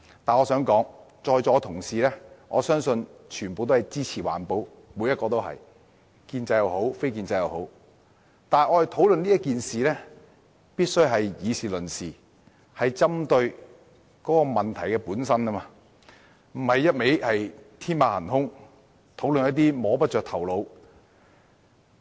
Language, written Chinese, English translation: Cantonese, 我相信在座各位同事皆支持環保，無論是建制派或非建制派的議員都支持環保，但我們必須以事論事，針對問題本身，而不是天馬行空地討論一些摸不着頭腦的事情。, I trust Honourable colleagues present in this Chamber be they pro - establishment or non - establishment all support environmental protection . However we must focus on the issue itself in reasoning instead of discussing some far - fetched issues that defy comprehension